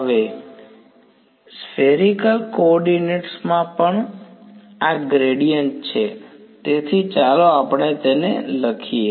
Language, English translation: Gujarati, Now, also this is the gradient in spherical coordinates right so, let us write that down